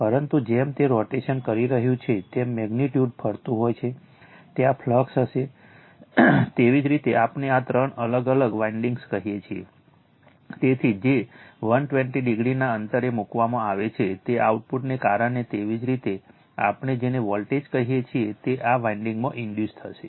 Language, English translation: Gujarati, But, as it is revolving the magnitude is revolving there will be flux that there your what we call in this your three different winding, so which are placed 120 degree apart right, because of that output that your what we call the voltage will be induced in this winding